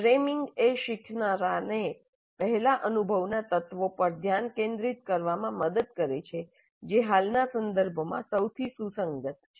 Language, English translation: Gujarati, Framing helps in making learner focus on the elements of prior experience that are most relevant to the present context